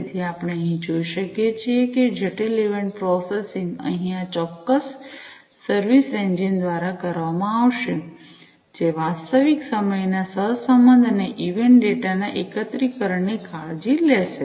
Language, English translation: Gujarati, So, as we can see over here complex event processing will be performed by this particular service engine over here, which will take care of real time correlation and aggregation of the event data